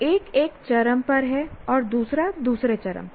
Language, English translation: Hindi, One is one extreme, the other is the other extreme